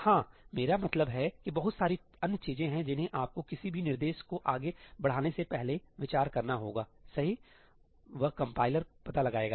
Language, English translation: Hindi, Yeah, I mean there are lots of other things that you have to consider before moving any instruction around, right; that, the compiler figures out